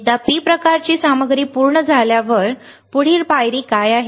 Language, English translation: Marathi, P type material once that is done; what is the next step